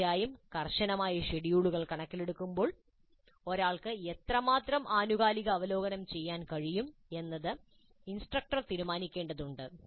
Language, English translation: Malayalam, Of course, given the tight schedules, how much of periodic review one can do has to be decided by the instructor